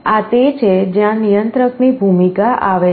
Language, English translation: Gujarati, This is where the role of the controller comes in